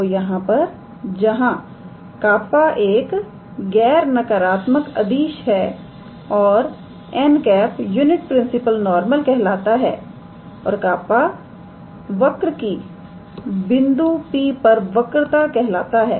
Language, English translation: Hindi, So, here where K is a non negative scalar and n is called a unit principle normal and kappa is called the curvature of the curve at the point P